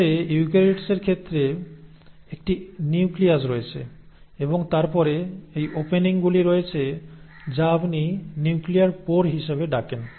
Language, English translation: Bengali, But in case of eukaryotes you have a nucleus, and then it has these openings which you call as the nuclear pore